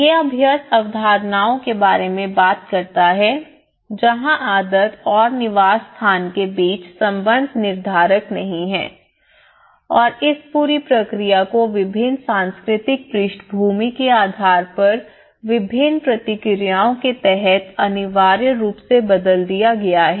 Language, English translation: Hindi, It talks about the concepts of habitus the relation between habit and the habitat which is not determinist and this whole process has anyways inevitably altered under different responses based on the different cultural backgrounds